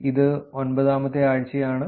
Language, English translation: Malayalam, This is week 9